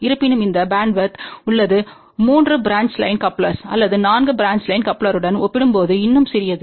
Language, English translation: Tamil, However this bandwidth is still relatively small compared to 3 branch line coupler or 4 branch line coupler